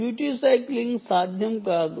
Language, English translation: Telugu, no duty cycling is possible